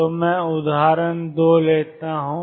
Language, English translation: Hindi, So, let me take example 2